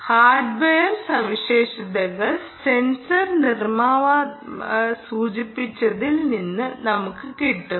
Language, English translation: Malayalam, the hardware specification: this is again from what the sensor manufacturer has mentioned